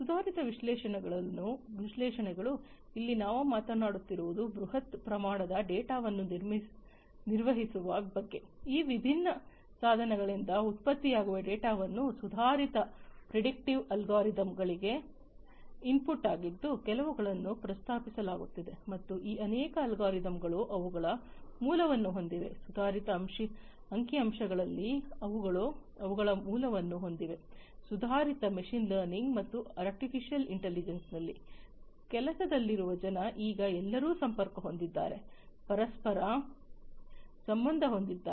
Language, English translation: Kannada, Advanced analytics here we are talking about handling huge amount of data, that are generated from these different devices the data are input to the advanced predictive algorithms, that are being proposed and many of these algorithms, have their base, have their origin in advanced statistics in advanced machine learning and artificial intelligence, people at work now it is possible that everybody is connected, interconnected with one another